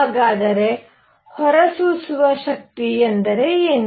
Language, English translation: Kannada, So, what is emissive power